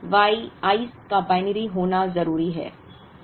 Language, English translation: Hindi, But, the Y i‘s have to be binary